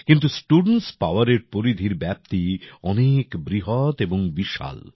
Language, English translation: Bengali, But the scope of student power is very big, very vast